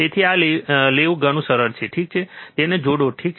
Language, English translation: Gujarati, So, it is easier take this one, ok, connect it, alright